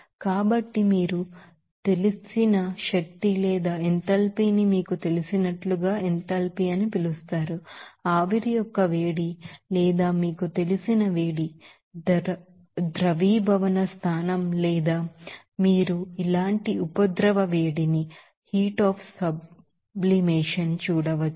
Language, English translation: Telugu, So, there will be a certain change of you know energy or enthalpy that enthalpy will be called as you know, heat of vaporization or heat up you know, melting point or you can see that heat of sublimation like this